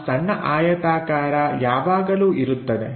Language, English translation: Kannada, So, that small rectangle always be there